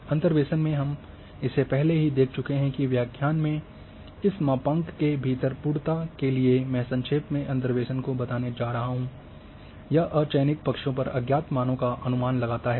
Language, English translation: Hindi, Interpolation we have already covered that in order to for completeness within this a module of this lecture I am just very briefly going to interpolation that it estimates the unknown value at a unsample sides